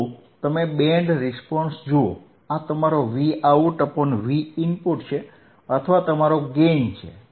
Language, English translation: Gujarati, sSo you see Band Response, this is your Vout by Vin or your gain; your gain or Vout by Vin